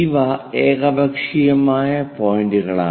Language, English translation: Malayalam, These are arbitrary points